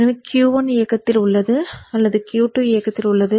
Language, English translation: Tamil, So when Q1 is on, Q2 is off